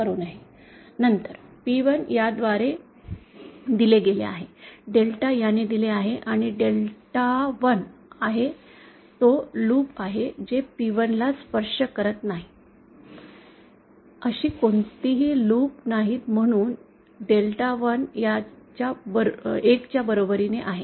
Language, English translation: Marathi, So, then P1 is given by this, delta is given by this and delta 1, that is the loops that do not touch P1, there are no such loops therefore Delta 1 is equal to this